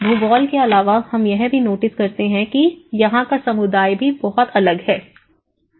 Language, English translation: Hindi, Apart from geography, we also notice that community is also very different